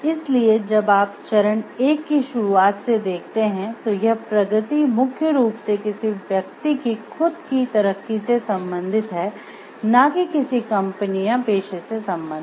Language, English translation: Hindi, So, if you see when you start with stage 1 the concern is for the gain of the individual, it is primarily for the individual not to the company client or profession